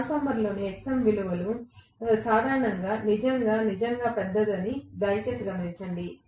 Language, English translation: Telugu, Please note that the Xm value in a transformer is generally really really large